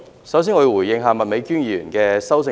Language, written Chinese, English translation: Cantonese, 首先，我想回應麥美娟議員的修正案。, In the first place I would like to respond to Ms Alice MAKs amendment